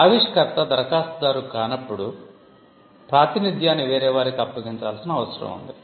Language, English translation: Telugu, In cases where the inventor is not the applicant, there is a need for assignment